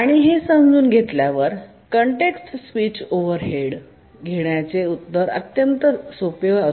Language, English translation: Marathi, And once we understand that then the answer about how to take context switch overheads becomes extremely simple